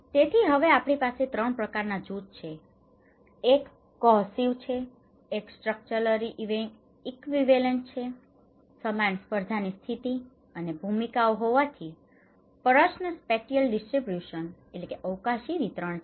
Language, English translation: Gujarati, So, now we have 3 kinds of groups; one is cohesive, one is structurally equivalents, there is same competition position and roles and the question of spatially distribution